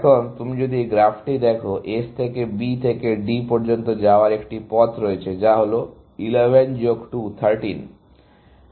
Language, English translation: Bengali, Now, if you look at this graph, there is a path going from S to B to D, which is 11 plus 2, 13